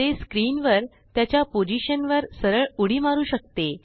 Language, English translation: Marathi, It can also jump directly to a position on the screen